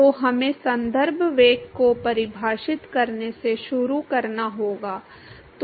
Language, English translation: Hindi, So, we have to start from defining the reference velocity